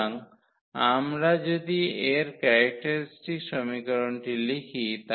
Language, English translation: Bengali, So, if we write down its characteristic equation